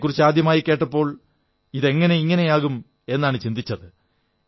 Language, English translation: Malayalam, When I first heard about it, I wondered how it could be possible